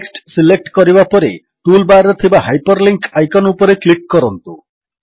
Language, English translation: Odia, After selecting the text, click on the Hyperlink icon in the toolbar